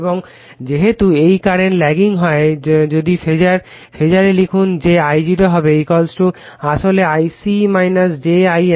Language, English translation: Bengali, And as this current is lagging if you write in your phasor thing that your I0 will be = actually I c minus j I m right